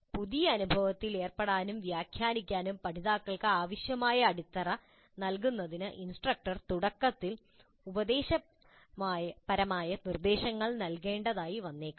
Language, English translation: Malayalam, Instructor may have to provide didactic instruction initially to give the learners the foundation prerequisite knowledge required for them to engage in and interpret the new experience